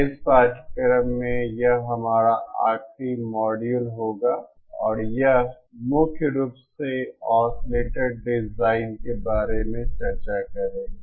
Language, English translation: Hindi, this will be our last module in this course it will primarily deal with Oscillator design